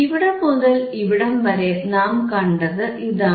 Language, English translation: Malayalam, This is what we see from here to here